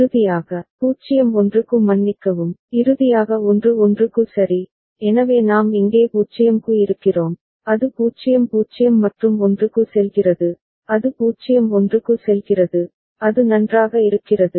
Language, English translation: Tamil, And finally, for 0 1 sorry, finally for 1 1 right, so we are here for 0, it goes to 0 0 and 1, it goes to 0 1 is it fine